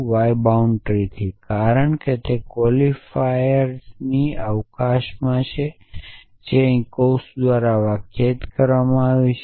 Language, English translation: Gujarati, This occurrence of y bound, because it comes it in the scope of quantifies which is defined by the bracket around here